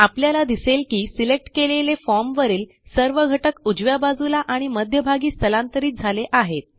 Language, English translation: Marathi, Notice that this moves all the selected form elements towards the right and the centre of the form